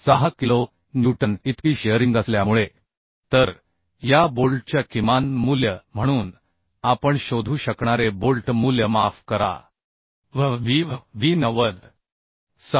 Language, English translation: Marathi, 6 kilonewton So the bolt value we can find out as minimum of this bolt value will be sorry Bv will be 90